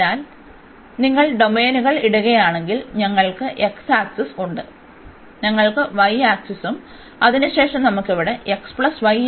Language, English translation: Malayalam, So, if you put the domains, so we have x axis, we have y axis and then we have the line here x plus y is equal to 1